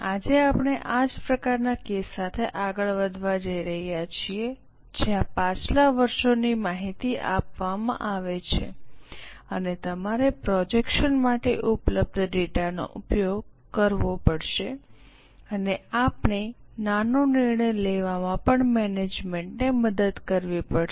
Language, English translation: Gujarati, Today we are going to continue with a similar type of case where last year's information is given and you will have to use the data available for projection and we will have to also help management in taking a small decision